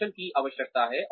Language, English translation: Hindi, The skills, that are required